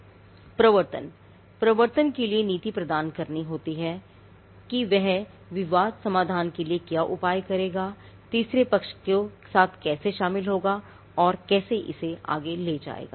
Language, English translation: Hindi, Enforcement is again the policy has to provide for enforcement what will be the measures it will take, how it will involve with third parties and how it will take it forward and for dispute resolution